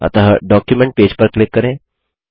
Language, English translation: Hindi, So lets click on the document page